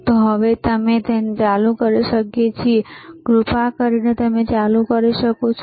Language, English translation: Gujarati, So now, we can we can switch it on, can you please switch it on